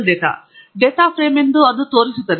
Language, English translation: Kannada, It shows that is a data frame